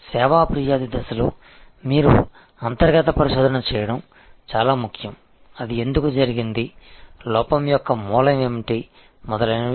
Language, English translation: Telugu, And in the service complains stage, very important that you do internal research to find out, why it happened, what is the origin of the lapse and so on